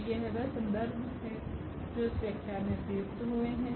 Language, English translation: Hindi, So, these are the reference here used for preparing the lectures